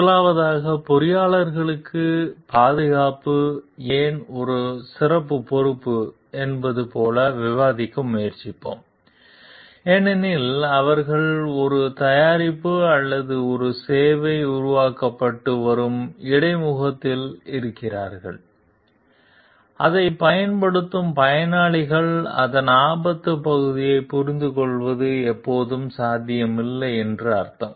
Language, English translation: Tamil, First we will try to discuss like why safety is a special responsibility for the engineers, because they are at the interface where a product or a service is getting developed and the users are using it beneficiaries are using it